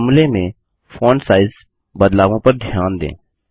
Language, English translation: Hindi, Notice the font size changes in the formulae